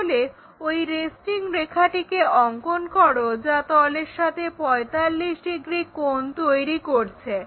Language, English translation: Bengali, So, draw that resting one line which is making 45 degrees on the plane